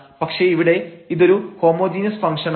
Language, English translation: Malayalam, So, these are the examples of the homogeneous functions